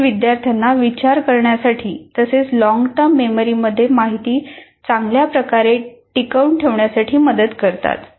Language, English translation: Marathi, But it still greatly helps for the student to think and kind of retain the information in the long term memory better